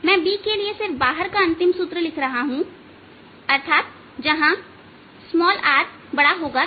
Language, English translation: Hindi, i am just writing the final formula for b: just outside means outside r greater than r